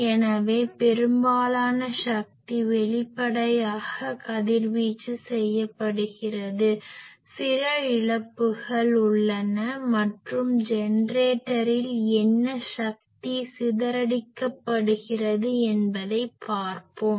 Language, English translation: Tamil, So, most of the power is being radiated obviously, some loss is there and what is power dissipated in the generator